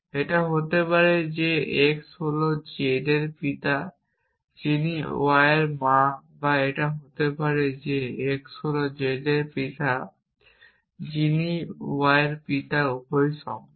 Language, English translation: Bengali, It could be that x is the father of z who is the mother of y or it could be that x is the father of z who is the father of y both are possible